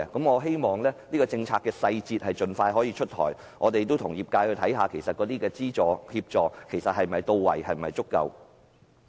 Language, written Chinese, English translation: Cantonese, 我希望這項政策的細節可以盡快出台，我們亦會與業界探討，這方面的資助及協助是否足夠。, I hope the details of this policy will be available as soon as possible and we will work with the industry to explore if funding and assistance in this area is sufficient